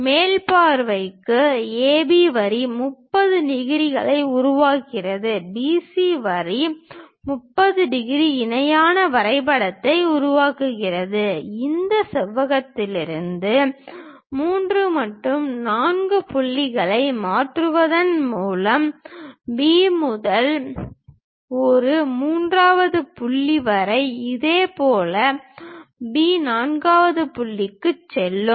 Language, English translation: Tamil, For top view the same procedure AB line makes 30 degrees, BC line makes 30 degrees, construct the parallelogram; then from B all the way to this third point, similarly B, all the way to fourth point by transferring 3 and 4 points from this rectangle